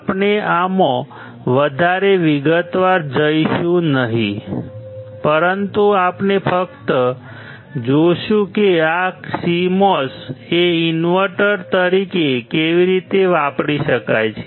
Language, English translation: Gujarati, We will not go too much detail into this, but we will just see how this CMOS can be used as an invertor